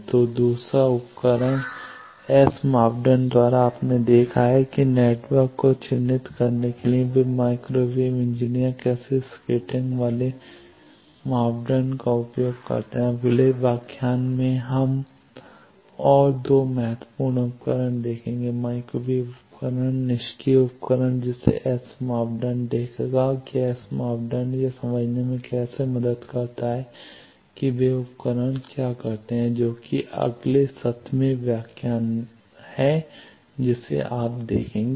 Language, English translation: Hindi, So, by this the second tool S parameter you have seen that how microwave engineers they use scattering parameter to characterise network Now, in the next lecture we will see another 2 very important devices, microwave device passive device that S parameter will see that how S parameter helps to understand what those devices do that is the next seventeenth lecture there you will see